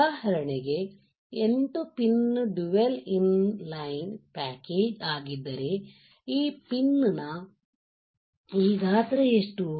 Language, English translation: Kannada, If for example, 8 pin dual inline package, what is this size of this pin